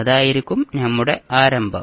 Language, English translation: Malayalam, So, that would be our starting point